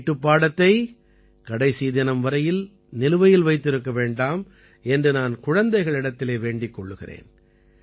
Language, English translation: Tamil, I would also tell the children not to keep their homework pending for the last day